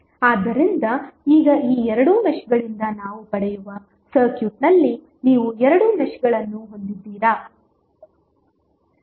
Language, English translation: Kannada, So, now you have two meshes in the circuit what we get from these two meshes